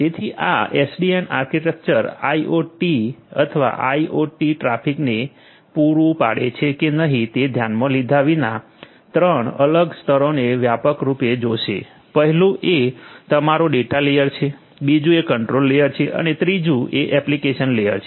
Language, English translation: Gujarati, So, this SDN architecture irrespective of whether it caters to the IIoT or IoT traffic or not, is going to have 3 different layers broadly 1 is your data layer, 2nd is the control layer and 3rd is the application layer